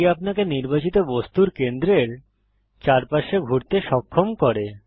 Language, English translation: Bengali, This enables you to orbit around the center of the selected object